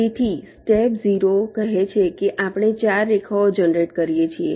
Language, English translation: Gujarati, so the step zero says we generate four lines